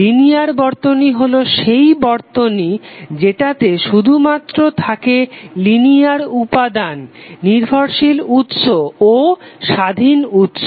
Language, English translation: Bengali, Linear circuit is the circuit which contains only linear elements linear depended sources and independent sources